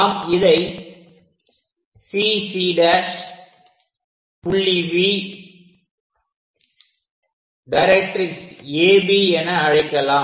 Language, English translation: Tamil, Let us name this is CC prime V point A B point as directrix